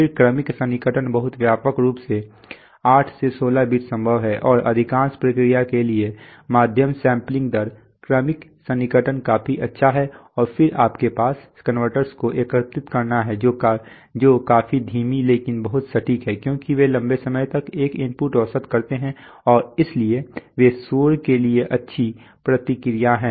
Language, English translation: Hindi, Then successive approximation is very widely used 8 to 16 bits possible generally and medium sampling rates for most processes successive approximation is good enough and then you have integrating converters which are quite slow but very accurate because they do an input averaging over long time and therefore they take, have good response to noise